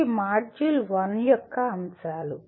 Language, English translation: Telugu, These are the elements of module 1